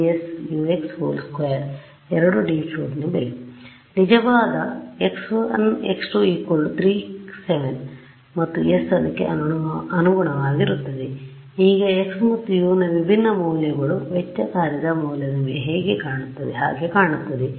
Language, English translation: Kannada, For where the true x 1 x 2 is 3 comma 7 and s is corresponding to that and now different different values of x and U what does the value of the cost function look like